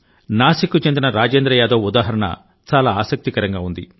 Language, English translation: Telugu, The example of Rajendra Yadav of Nasik is very interesting